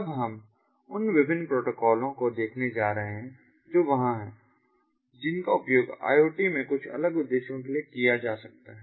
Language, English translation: Hindi, now we are going to look at the different protocols that are there that can be used for something different purposes in iot, now, ah, you know